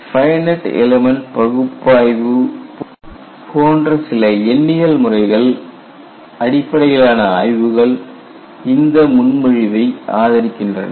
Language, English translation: Tamil, A number of studies, using numerical methods such as finite elements, have supported this proposition